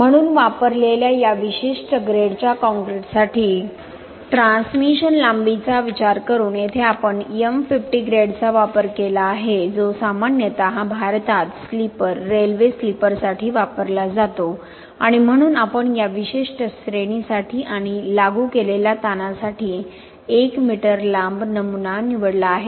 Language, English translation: Marathi, So by considering the transmission length for this particular grade concrete used, here we used M50 grade just typically used for sleeper, railway sleepers in India and so we have chosen 1 m long specimen for this particular grade and the stress applied